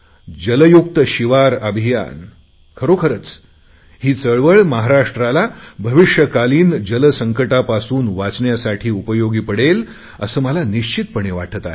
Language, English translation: Marathi, 'Jal Yukt Shivir' is one such people's movement which is really going to be of great help in saving Maharashtra from water crisis in the future this is what I feel